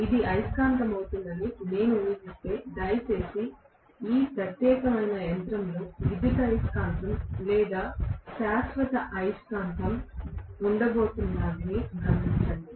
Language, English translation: Telugu, If I assume that this is going to be the magnet, please note I am going to have an electromagnet or permanent magnet in this particular machine